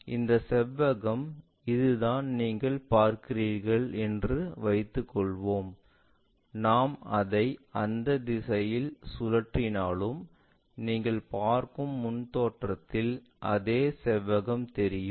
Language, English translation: Tamil, So, this is the rectangle let us assume that you are seeing this, even if I rotate it in that direction same rectangle at the front view you see